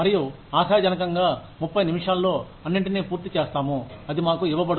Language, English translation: Telugu, And, hopefully will finish all that in 30 minutes, that will be awarded to us